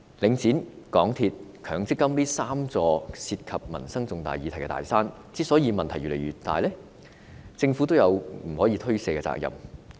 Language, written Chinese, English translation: Cantonese, 領展、港鐵和強積金這三座涉及民生重大議題的"大山"問題越積越大，政府有不可推卸的責任。, The problems posed by these three big mountains of Link REIT MTRCL and MPF involving major livelihood issues have intensified